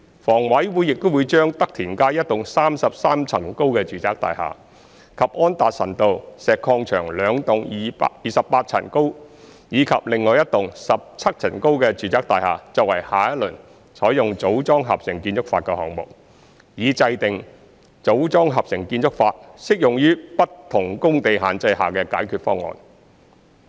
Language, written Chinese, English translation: Cantonese, 房委會亦會將德田街一幢33層高的住宅大廈，以及安達臣道石礦場兩幢28層高及另外一幢17層高的住宅大廈作為下一輪採用"組裝合成"建築法的項目，以制訂"組裝合成"建築法適用於不同工地限制下的解決方案。, A 33 - storey residential block in Tak Tin Street as well as two 28 - storey and one 17 - storey residential blocks at Anderson Road Quarry have also been selected for the next round of projects applying MiC so as to formulate solutions using MiC under different site constraints